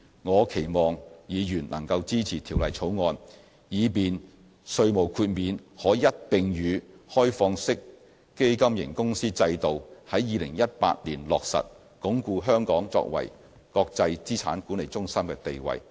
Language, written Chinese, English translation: Cantonese, 我期望議員能夠支持《條例草案》，以便稅務豁免可在2018年與開放式基金型公司制度一併落實，鞏固香港作為國際資產管理中心的地位。, I hope Members will support the Bill so that the tax exemption can be implemented in 2018 together with the OFC regime to consolidate Hong Kongs position as an international asset management centre